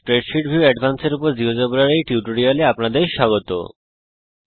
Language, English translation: Bengali, Welcome to this geogebra tutorial on Spreadsheet view advanced